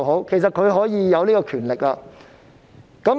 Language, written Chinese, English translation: Cantonese, 其實，特首是擁有這權力的。, In fact the Chief Executive has such power